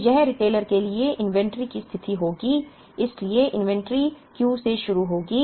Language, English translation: Hindi, So this will be the inventory position for the retailer; so the inventory will begin at Q